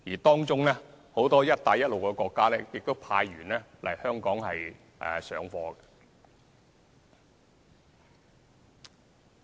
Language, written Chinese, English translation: Cantonese, 當中，很多"一帶一路"國家亦派員來香港上課。, Many countries along the Belt and Road Initiative will send personnel to attend classes in Hong Kong